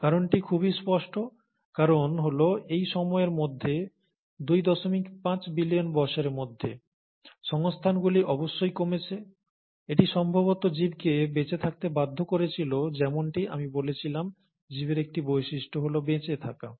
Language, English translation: Bengali, And the reason must have been pretty evident, the reason being that by this time, by the time of two and a half billion years, resources must have become lesser, it would have compelled the organisms to survive as I said, one property of life is to survive